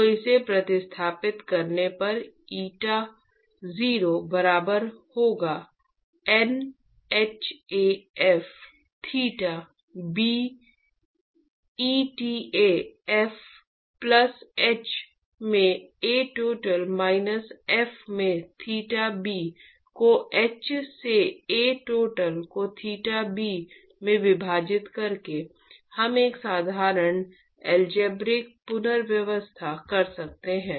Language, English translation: Hindi, So, substituting this will get eta0 is equal to NhAf theta b eta f plus h into A total minus f into theta b divided by h into A total into theta b, we can do a simple algebraic rearrangement